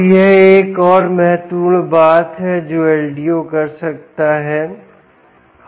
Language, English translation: Hindi, so this is another important thing that ldo can do